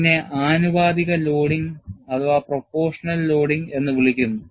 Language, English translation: Malayalam, This is called proportional loading